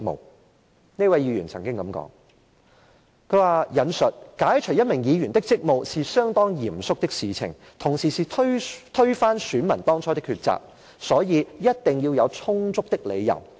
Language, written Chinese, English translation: Cantonese, 當時，有一位議員曾經這樣說，我引述："解除一名議員的職務，是相當嚴肅的事情，同時是推翻選民當初的抉擇，所以一定要有充足的理由......, Back then a Member said and I quote However I also understand that to relieve a Member of his duties as a Member of the Legislative Council is a most solemn matter . It is also an act that overrides the original preference of the voters